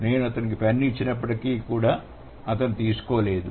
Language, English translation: Telugu, So, although I offered him a pen, he didn't really take it